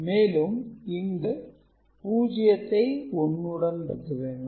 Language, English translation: Tamil, So, if you are multiplying 0 with 0